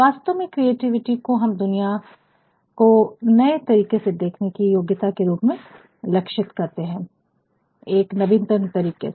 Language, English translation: Hindi, Creativity actually is characterized by the ability to perceive the world in new ways, in innovative ways